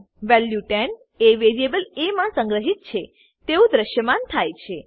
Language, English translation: Gujarati, Value 10 stored in variable a is displayed